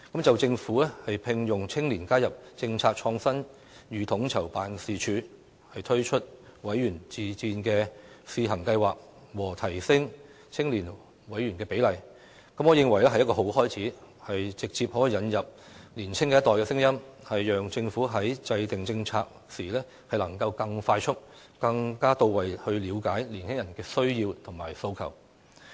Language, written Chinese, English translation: Cantonese, 就政府聘用青年加入"政策創新與統籌辦事處"、推出"委員自薦試行計劃"及提升青年委員比例的建議，我認為是好的開始，可直接引入年青一代的聲音，讓政府在制訂政策時能夠更快速、更到位地了解年輕人的需要和訴求。, As regards the Governments proposals to recruit young people to join the Policy Innovation and Co - ordination Unit introduce a pilot member self - recommendation scheme and increase the ratio of youth members in government boards and committees I think these are a good start as they can directly bring in the voice of the younger generation so that the Government can more promptly and thoroughly understand the needs and aspirations of young people when formulating policies